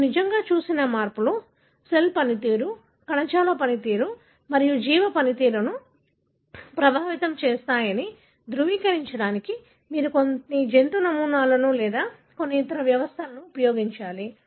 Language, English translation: Telugu, You have to use some animal models or some other systems to validate that the changes that you have seen indeed, affect the way the cell functions, tissue functions and organism functions